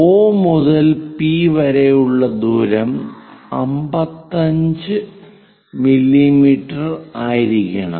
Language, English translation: Malayalam, Name it may be at a distance O to P it might be 55 mm